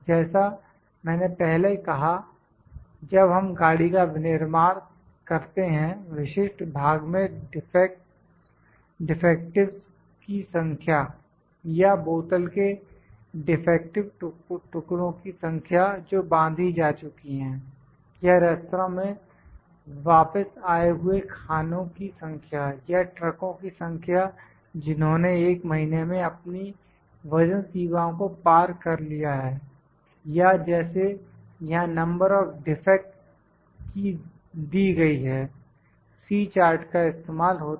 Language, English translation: Hindi, As I said when we manufacture a car the number of defectives in a specific section, or the number of defective pieces of the bottles which were packed, or the number of a return meals in a restaurant, or of the number of trucks that exceed their weight limit in a month, or like this when number of defects are there, C charts are used